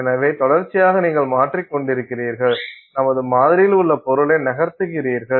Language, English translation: Tamil, So, continuously you are changing the you are moving material in the sample